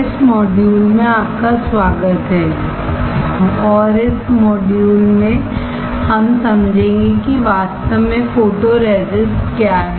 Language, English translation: Hindi, Welcome to this module and in this module, we will understand what exactly photoresist is